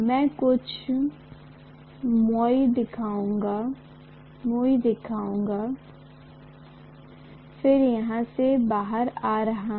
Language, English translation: Hindi, I will just show a few turns and then from here it is coming out